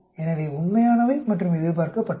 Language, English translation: Tamil, So the actual expected, actual and the expected